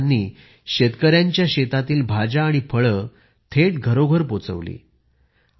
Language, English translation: Marathi, These women worked to deliver vegetables and fruits to households directly from the fields of the farmers